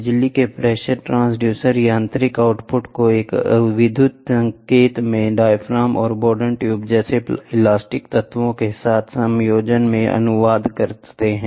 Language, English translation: Hindi, The electric pressure transducer translates the mechanical output into an electrical signal in conjunction with the elastic elements such as bellows, diaphragms, and Bourdon